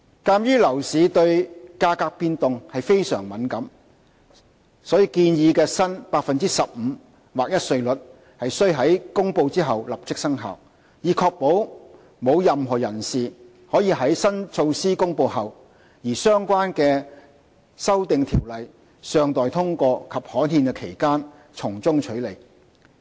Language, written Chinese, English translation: Cantonese, 鑒於樓市對價格變動非常敏感，所以建議的新 15% 劃一稅率須於公布後立即生效，以確保沒有任何人士可在新措施公布後，而相關修訂條例尚待通過及刊憲的期間從中取利。, Given the price - sensitive nature of the property market the proposed new flat rate of 15 % has to come into immediate effect once announced . This is to ensure that no one can take advantage between the announcement of the new measure and the passage and gazettal of the relevant Amendment Ordinance